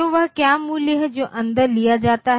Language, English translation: Hindi, So, what is the value that it takes in